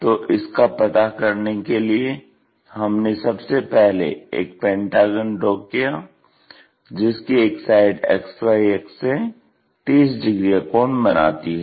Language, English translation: Hindi, First drawn a pentagon, regular pentagon, one of the side is making 30 degrees angle with this XY axis